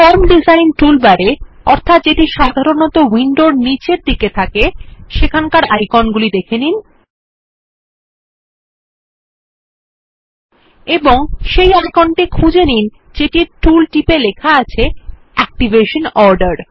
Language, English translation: Bengali, In the Form Design toolbar, usually found at the bottom of the window, we will browse through the icons And find the icon with the tooltip that says Activation order